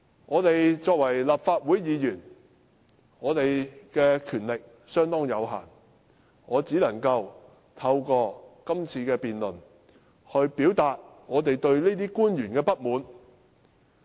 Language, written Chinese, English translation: Cantonese, 我們作為立法會議員，權力相當有限，我只可以透過今次辯論，表達我們對於這些官員的不滿。, We Members of the Legislative Council have only limited powers . It is only through this debate that I can express our dissatisfaction with these officials